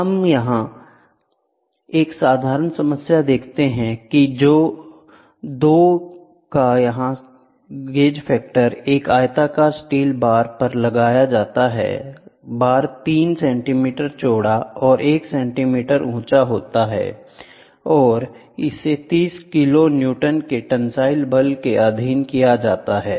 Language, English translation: Hindi, Now, let us see a simple problem a having a gauge factor of 2 is mounted on a rectangular steel bar the bar is 3 centimeter wide and 1 centimeter high and is subjected to a tensile force of 30 kiloNewton